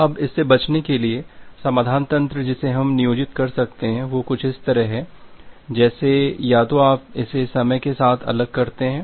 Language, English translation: Hindi, Now, to avoid that, the solution mechanism that we can employ is something like this, like either you make it separate with respect to time